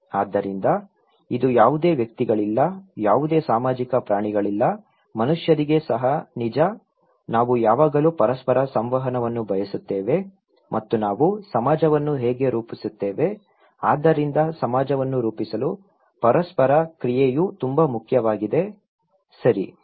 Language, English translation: Kannada, So that is also true for any individuals, any social animals, human beings, we always seek interactions with each other and thatís how we form society so, interaction is so very important to form necessary to form a society, okay